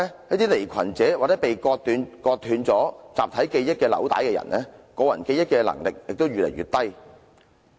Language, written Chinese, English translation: Cantonese, 一些離群者或被割斷集體記憶紐帶的人的個人記憶能力就會較低。, In the case of outliers or those whose links with their collective memory have been severed their personal memory abilities will be lower